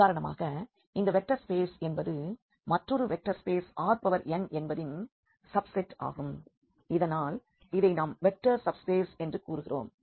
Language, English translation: Tamil, So, this is for instance vector subspaces because this is a vector space and this is a subset of another vector space R n and therefore, we call this as a vector subspace